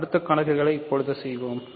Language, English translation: Tamil, So, let us do next problems now